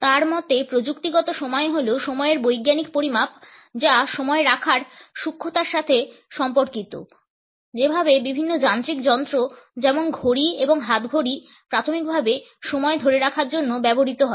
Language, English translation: Bengali, Technical time according to him is the scientific measurement of time which is associated with the precision of keeping the time the way different mechanical devices for example, clock and watches primarily are used to keep time